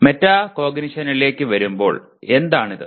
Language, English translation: Malayalam, Coming to metacognition, what is it